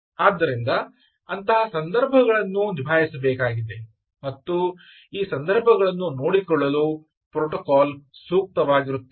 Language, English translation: Kannada, so such situations have to be handled and the protocol is well suited for taking care of these situation